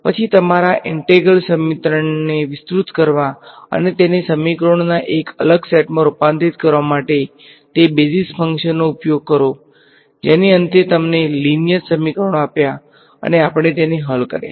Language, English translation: Gujarati, Then use those basis functions to simplify your expand your integral equation and convert it into a discrete set of equations which finally, gave you a linear system of equations and we solved it